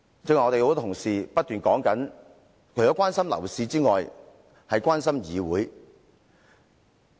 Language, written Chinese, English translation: Cantonese, 剛才多位同事均表示，他們除了關心樓市外，也關心議會。, Many colleagues have said that other than the property market they are also concerned about this Council